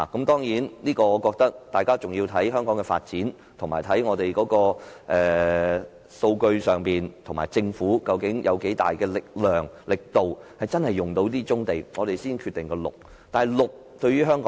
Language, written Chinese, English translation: Cantonese, 當然，我覺得大家要視乎香港的發展和數據，以及政府究竟有多大力量和力度真的可以使用這些棕地，我們才決定是否使用綠色用地。, Some people even said that we should only develop brownfield sites but not Green Belt sites . Of course I think we have to consider the development and statistics concerned as well as the strength and force of the Government to make brownfield sites available for development . By then we can decide whether Green Belt sites should be used